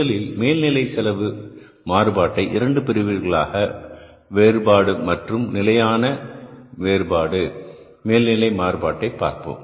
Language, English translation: Tamil, And then the second will be the variable overhead variance and the fixed overhead variance